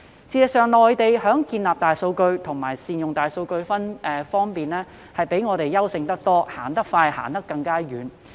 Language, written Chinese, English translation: Cantonese, 事實上，內地在建立大數據庫和善用大數據技術方面遠比香港優勝，走得更快更遠。, Actually the Mainland has outdone Hong Kong by far when it comes to the setting up of databases for big data and the application of big data technologies and it has moved faster and farther than Hong Kong